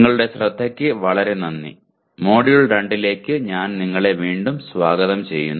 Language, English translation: Malayalam, Thank you very much for attention and I welcome you again to the Module 2